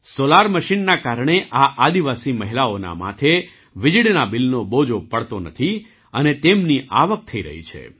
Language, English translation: Gujarati, Due to the Solar Machine, these tribal women do not have to bear the burden of electricity bill, and they are earning income